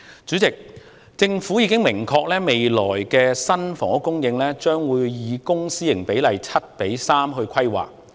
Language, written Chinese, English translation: Cantonese, 主席，政府已經表明未來新的房屋供應將會以公私營比例為 7：3 來規劃。, President the Government has made it clear that when planning for new housing supply in the future the ratio of public housing to private housing will be 7col3